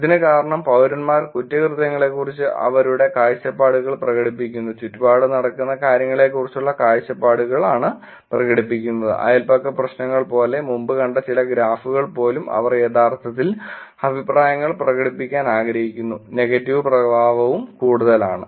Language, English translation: Malayalam, The reason for this would be that citizens are expressing their views about crimes, expressing the views about things that are going on and around them, even in the some of the graph seen before like neighborhood problems and they want to actually express the views so therefore the negative affect is higher